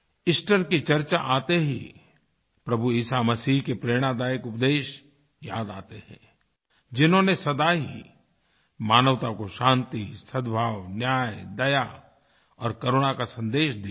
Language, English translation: Hindi, The very mention of Easter reminds us of the inspirational preaching of Lord Jesus Christ which has always impressed on mankind the message of peace, harmony, justice, mercy and compassion